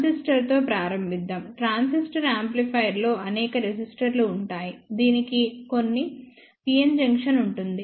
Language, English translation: Telugu, Let us start with the transistor, a transistor amplifier would have several resistors, it will have a few pn junction